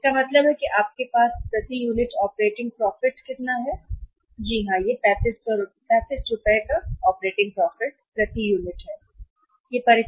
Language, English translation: Hindi, So, it means you have how much the operating profit per unit is operating profit per unit is operating profit per unit is rupees 35, operating profit per unit is 35 right